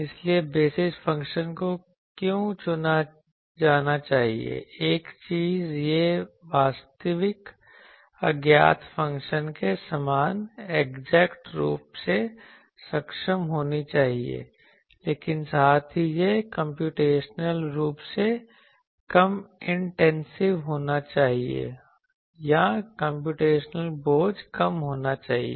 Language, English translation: Hindi, So, what is thing that basis function should be chosen one thing it should be able to accurately resemble the actual unknown function, but also it should be computationally less intensive or computational burden is less